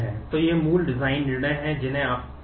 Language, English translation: Hindi, So, these are the basic design decisions that you need to make